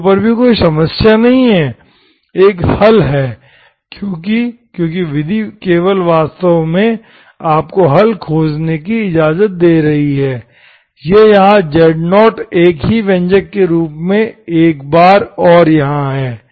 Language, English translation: Hindi, What happens at 0, at 0 also there is no issue, there is a solution because, because the method only is actually giving you, allowing you to find the solution, this here once and here as the same expression